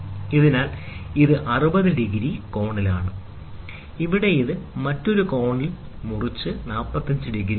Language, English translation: Malayalam, So, this is at an angular 60 degrees, and here it is cut at some other angle it is 45 degrees